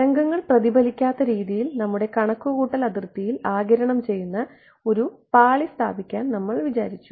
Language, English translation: Malayalam, We wanted to put in an absorbing layer in our computational domain such that the waves did not get reflected back